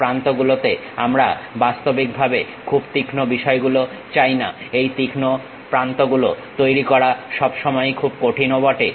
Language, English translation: Bengali, Edges we do not want to really have very sharp things, making these sharp edges always be bit difficult also